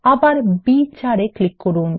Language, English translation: Bengali, Click on the cell B4